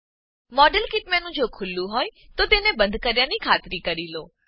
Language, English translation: Gujarati, Ensure that the modelkit menu is closed, if it is open